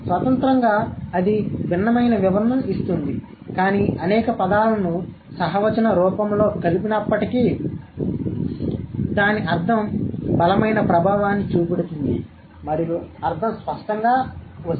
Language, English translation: Telugu, Individently that would give a different interpretation, but when many words are combined together in a co text form, then the meaning, it has a strong effect and the meaning comes out clearly